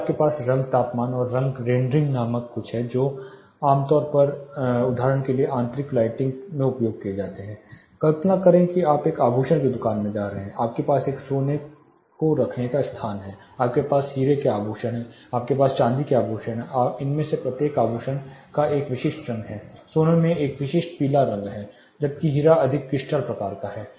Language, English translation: Hindi, Then you have something called color temperature and color rendering these are typically used in interior lightings for example, imagine you are going to a jewelry shop you have a gold section, gold jewelry you have a diamond jewelry, you have silver jewelry, each of these is a jewelry has a typical color gold has you know a typical yellowish tint where as diamond more crystal kind of thing you want different kind of light for the jewelry to be more appealing to the eye